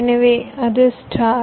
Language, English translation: Tamil, this whole thing, star